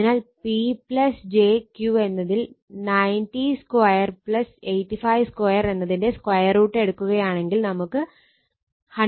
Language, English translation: Malayalam, therefore, P plus j Q will be you take the square root of 90 square plus 85 square you will get 123